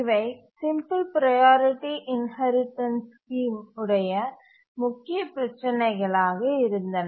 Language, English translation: Tamil, These were the major problem of the simple priority inheritance scheme